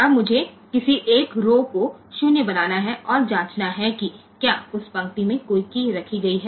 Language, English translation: Hindi, Now I have to make one of the rows as 0 and check whether any key has been placed on that line